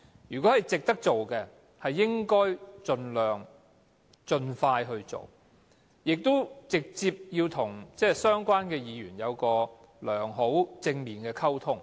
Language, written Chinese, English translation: Cantonese, 如果是值得做的，便應該盡快去做，應該直接與相關議員有良好及正面的溝通。, If the amendments are worth taking forward the Government should go ahead as early as possible . It should always maintain useful and positive communications with the Members concerned